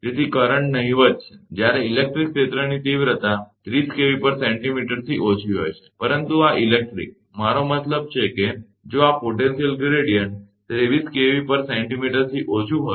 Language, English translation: Gujarati, So, current is negligible, when the electric field intensity is less than 30 kilovolt per centimeter, but this electric, I mean if this potential gradient is less than 30 kV/cm